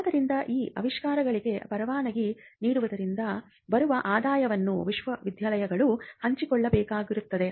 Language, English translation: Kannada, So, the universities were required to share the income that comes out of licensing these inventions, what we called royalty